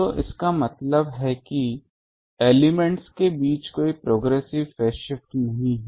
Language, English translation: Hindi, So that means no progressive phase shift between elements